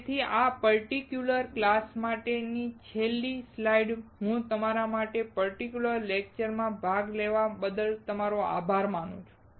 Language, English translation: Gujarati, So, the last slide for this particular class, I will thank you all for attending this particular lecture